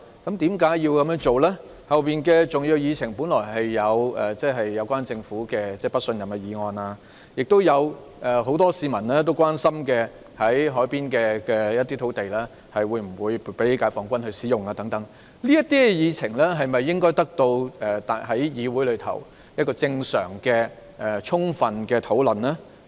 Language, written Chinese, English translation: Cantonese, 及後的重要議程項目包括對政府的不信任議案，以及很多市民關心的海濱用土地撥給解放軍使用的安排等，這些議程項目應在議會中得到正常和充分的討論。, These important items to be proposed for discussion include the motion of no confidence in the Government and the arrangement for allocating the harbourfront site for use by the Peoples Liberation Army which is of concern to many members of the public